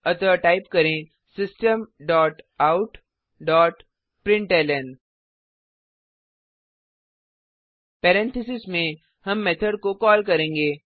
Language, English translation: Hindi, So type System dot out dot println() Within parenthesis we will call the method